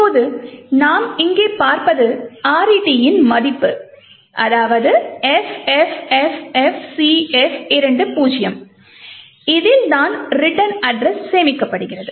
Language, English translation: Tamil, Now what we see over here is RET has a value FFFFCF20 and this corresponds to this location and this actually is where the return address is stored